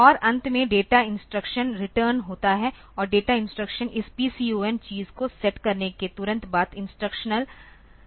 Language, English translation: Hindi, And at the end there is a return the data instructional and the data instruction will take it to the instruction just after setting of this PCON thing